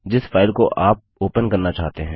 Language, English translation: Hindi, file you want to open